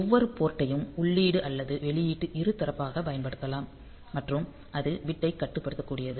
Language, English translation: Tamil, Each port can be used as input or output bidirectional and that is also it is bit controllable